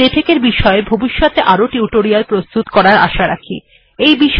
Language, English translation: Bengali, We also hope to create some more spoken tutorials for latex in the future